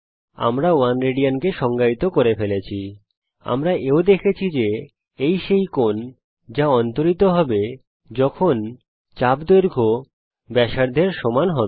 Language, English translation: Bengali, We defined 1 rad, we also saw that, this is the angle that will be subtended when the arc length is equal to the radius